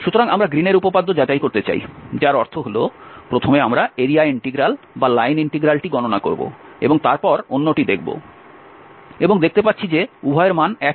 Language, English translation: Bengali, So we want to verify the Green’s theorem that means, first we will compute the area integral or the line integral and then the other one and see the both the values are same